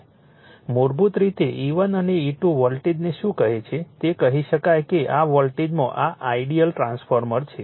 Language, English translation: Gujarati, What you call E 1 and E 2 voltage basically you can say this is the ideal transformer in this voltage